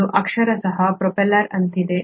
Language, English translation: Kannada, This is literally like the propeller